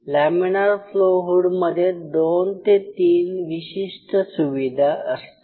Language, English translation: Marathi, So, laminar flow hood will be equipped with 2 3 things or So